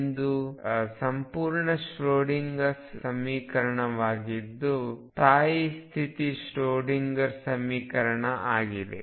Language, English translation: Kannada, This is a complete Schroedinger equation which for stationary states goes over to stationary state Schroedinger equation